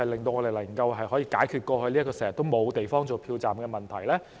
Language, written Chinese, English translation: Cantonese, 能否解決過去經常沒有地方作票站的問題？, Can it solve the problem of the lack of premises to be used as polling stations which often occurred in the past?